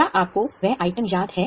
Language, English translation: Hindi, Do you remember that item